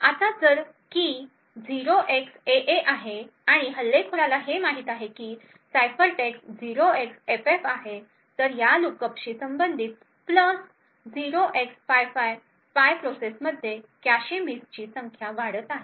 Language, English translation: Marathi, Now if the key is 0xAA and the attacker knows that the ciphertext is 0xFF, then corresponding to this lookup plus 0x55 the spy process would see an increased number of cache misses